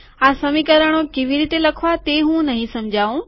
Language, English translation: Gujarati, I am not going to explain how to write these equations